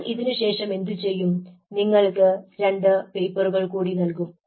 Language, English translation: Malayalam, so what i will do after this is i will give you two more